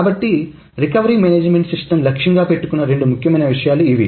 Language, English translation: Telugu, So, these are the two important things that the recovery management system targets